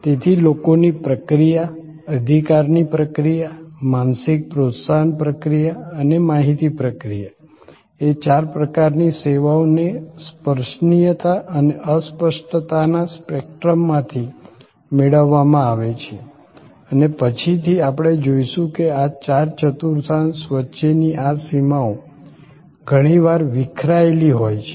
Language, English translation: Gujarati, So, people processing, possession processing, mental stimulus processing and information processing are the four kinds of services derived from the spectrum of tangibility and intangibility and as later on we will see that these boundaries among these four quadrants are often diffused